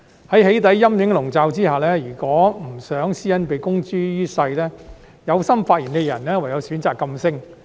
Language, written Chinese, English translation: Cantonese, 在"起底"陰影籠罩下，如果不想私隱被公諸於世，有心發聲的人唯有選擇噤聲。, Under the threat of doxxing those who wish to speak out have no choice but to hold their tongues if they do not want their privacy information to be made public